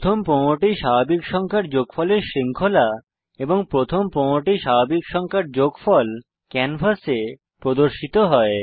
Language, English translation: Bengali, A series of sum of first 15 natural numbers and sum of first 15 natural numbers is displayed on the canvas